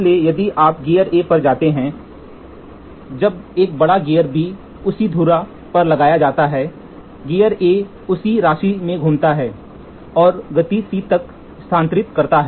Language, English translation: Hindi, So, if you go back gear A have said, when a large gear B mounted on the same spindle as gear A rotates by the same amount and transfers to the motion C